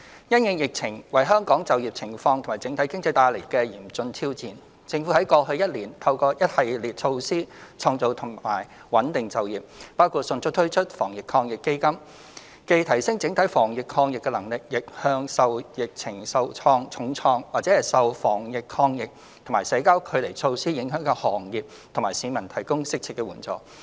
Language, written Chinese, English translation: Cantonese, 因應疫情為香港就業情況及整體經濟帶來的嚴峻挑戰，政府在過去一年透過一系列措施創造及穩定就業，包括迅速推出防疫抗疫基金，既提升整體防疫抗疫能力，亦向受疫情重創或受防疫抗疫和社交距離措施影響的行業和市民提供適切援助。, Over the past year in light of the tremendous challenges brought about by the epidemic to Hong Kongs employment situation and overall economy the Government has implemented a host of measures to create and stabilize job opportunities . We expeditiously introduced the Anti - epidemic Fund AEF not just to enhance Hong Kongs overall anti - epidemic capability but also provide suitable relief to sectors and individuals hard - hit by the epidemic or affected by the anti - epidemic and social distancing measures